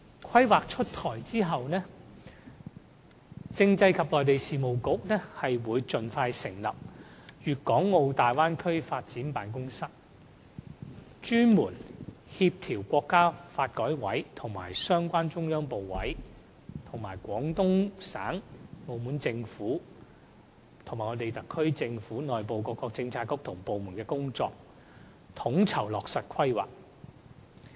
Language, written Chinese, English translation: Cantonese, 《規劃》出台後，政制及內地事務局會盡快成立"粵港澳大灣區發展辦公室"，專責協調國家發改委和相關中央部委及廣東省和澳門政府，以及特區政府內部各個政策局及部門的工作，統籌落實《規劃》。, After the rolling out of the Development Plan the Constitutional and Mainland Affairs Bureau will set up a Guangdong - Hong Kong - Macao Bay Area Development Office the Office with sole responsibility for coordinating the efforts of NDRC the relevant ministries of the Central Government the Guangdong Provincial Government the Macao Government and the relevant bureaux and departments of the SAR Government in implementing the Development Plan